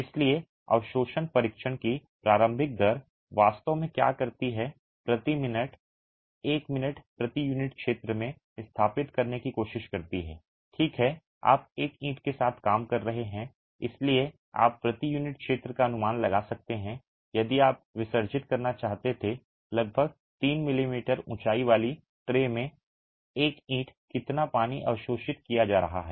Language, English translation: Hindi, So, what the initial rate of absorption test actually does is tries to establish in a minute, right, in one minute per unit area, you are working with one brick so you can estimate per unit area if you were to immerse a brick in a tray with about 3 millimetres height of water, how much water is being absorbed